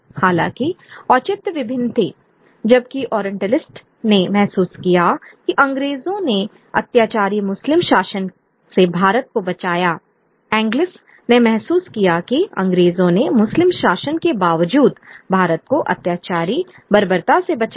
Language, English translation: Hindi, However, the justification came divergent, whereas the orientalist felt that the British rescued India from a tyrannical Muslim rule, the Anglicist felt that the British rescued India from a tyrannical Muslim rule, the Anglicist felt that British rescued India from tyrannian barbarism, irrespective of the Muslim rule